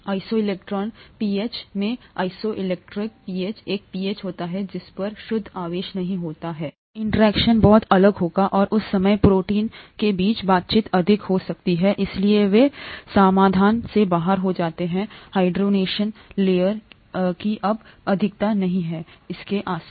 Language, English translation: Hindi, At the isoelectric pH, isoelectric pH is a pH at which there is no net charge, the interactions would be very different and at that time, the interaction between the proteins could be higher, so they fall out of solutions; there is no longer much of the hydration layer around it